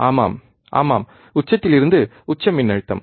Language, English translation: Tamil, Yeah, yes, peak to peak voltage